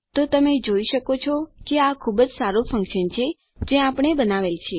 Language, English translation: Gujarati, So you can see that this is quite good function that we have made